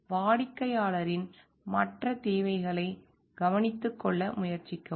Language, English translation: Tamil, And try to take care of the other needs of the client